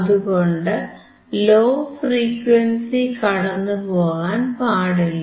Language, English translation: Malayalam, So, low pass low frequency should not pass